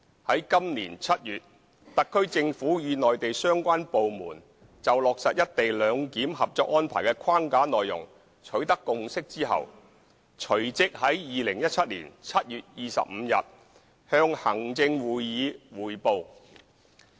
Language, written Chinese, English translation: Cantonese, 在今年7月，特區政府與內地相關部門就落實"一地兩檢"《合作安排》的框架內容取得共識後，隨即在2017年7月25日向行政會議匯報。, In July this year after forging a consensus with the relevant Mainland departments on the framework contents of the Co - operation Arrangement for implementing the co - location arrangement the SAR Government made a report forthwith to the Executive Council on 25 July 2017